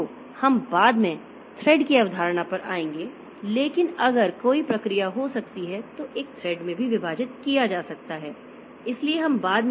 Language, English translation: Hindi, So, we will come to the concept of thread later but there is the there may be a process may be divided into threads also